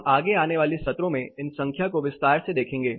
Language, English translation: Hindi, We will look at the numbers more in detail in the following sessions